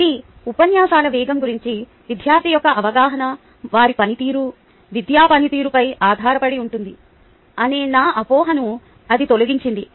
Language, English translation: Telugu, so it removed my misconception that the perception of the student about the pace of the lectures depends on their performance academic performance